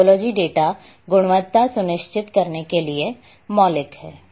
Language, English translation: Hindi, topology is fundamental to ensuring data quality